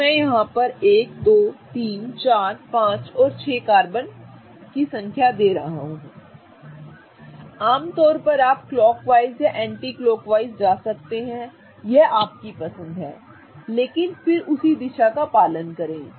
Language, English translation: Hindi, So, I'm going to go 1, 2, 3, 4, 5, 6 typically either go clockwise or anti clockwise it is your choice but follow the same direction